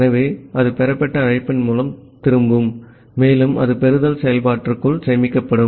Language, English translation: Tamil, So, that will returned by the received call and it will store inside the receiveLen function